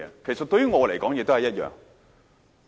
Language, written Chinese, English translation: Cantonese, 其實，對於我來說，也是一樣。, As a matter of fact to me it is the same